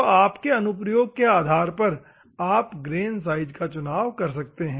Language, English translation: Hindi, So, depending on your application, you have to choose the grain size